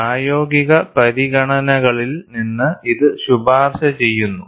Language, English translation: Malayalam, This is recommended from practical considerations